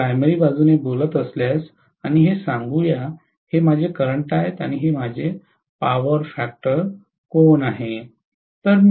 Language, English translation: Marathi, If it is leading power factor, I am probably going to have a current like this, this is the load power factor angle